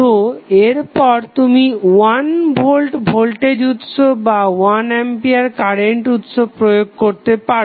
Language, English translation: Bengali, So, next the simple approach is either you apply 1 volt voltage source or 1 ampere current source